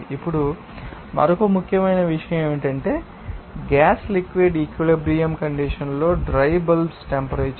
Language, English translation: Telugu, Now, another important point is dry bulb temperature in the gas liquid equilibrium condition